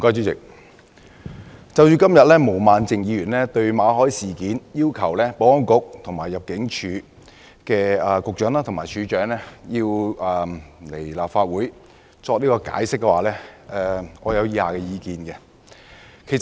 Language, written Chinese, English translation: Cantonese, 主席，毛孟靜議員今天動議議案，就馬凱事件要求保安局局長及入境事務處處長到立法會作出解釋，我有以下意見。, President concerning Ms Claudia MOs motion today to summon the Secretary for Security and the Director of Immigration to attend before the Council to give explanations on the Victor MALLET incident I have the following views